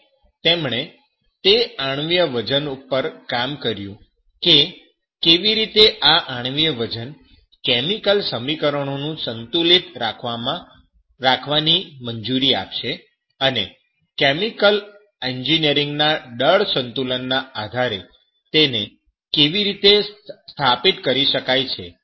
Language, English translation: Gujarati, And he worked on those atomic weights, how these atomic weights will allow the chemical equations which are to be balanced and also how it can be established the basis of chemical engineering mass balances